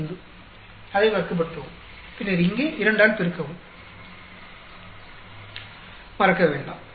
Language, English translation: Tamil, 45, square it up, then multiply by 2 here, do not forget